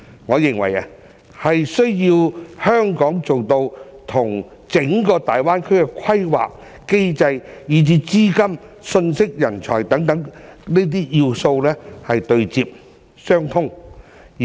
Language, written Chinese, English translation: Cantonese, 我認為是需要香港做到與整個大灣區的規則、機制，以至資金、信息、人才等要素對接、相通。, In my opinion Hong Kong needs to connect and integrate with the entire Greater Bay Area in terms of such important aspects as rules mechanisms capital information and talents